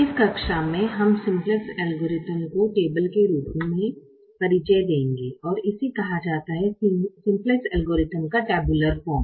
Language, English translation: Hindi, in this class we introduce the simplex algorithm in the form of a table and it's called the tabular form of the simplex algorithm